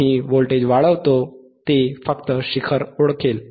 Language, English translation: Marathi, wWe increase athe voltage, it will just detect the peak it will detect the peak